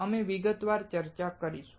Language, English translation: Gujarati, We will discuss them in detail